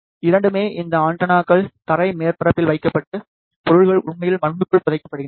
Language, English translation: Tamil, Both, these antennas are placed on the ground surface and the objects are actually buried inside the soil